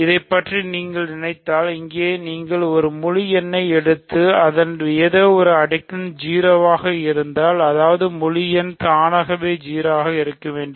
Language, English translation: Tamil, So, if you think about this, here if you take an integer and some power is 0, that means that integer must be 0 itself ok